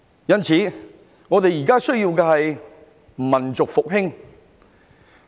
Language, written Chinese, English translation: Cantonese, 因此，我們現在需要的是民族復興。, Therefore what we need at present is the rejuvenation of our nation